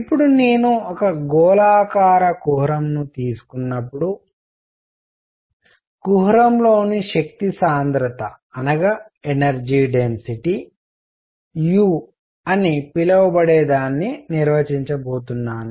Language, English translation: Telugu, Now when I take a spherical cavity I am going to define something called the energy density u in the cavity